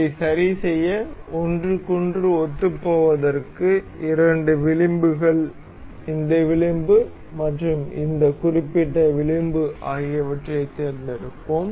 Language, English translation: Tamil, To fix this, we will select the two edges, this edge and this particular edge to make it coincide with each other